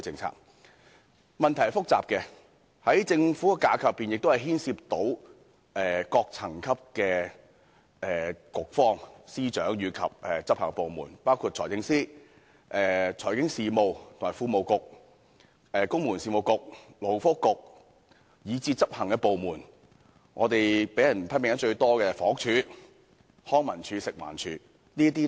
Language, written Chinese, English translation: Cantonese, 這個問題是複雜的，在政府架構內亦牽涉各層級的局方、司長及執法部門，包括財政司司長、財經事務及庫務局、公務員事務局、勞工及福利局，以至執行的部門，包括被批評得最多的房屋署、康樂及文化事務署及食物環境衞生署。, This issue is complex involving bureaux secretaries of department and law enforcement agencies of different layers in the government structure including the Financial Secretary the Financial Services and the Treasury Bureau the Civil Service Bureau the Labour and Welfare Bureau as well as their executive arms including the most criticized Housing Department the Leisure and Cultural Services Department and the Food and Environmental Hygiene Department